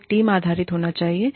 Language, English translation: Hindi, It should be team based